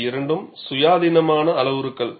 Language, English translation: Tamil, These are two independent parameters